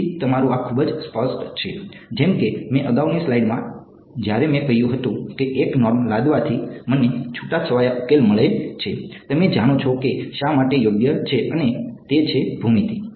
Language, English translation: Gujarati, So, your this is very clear like when I in the previous slide when I said that imposing 1 norm gives me a sparse solution you know why it does right and that is geometry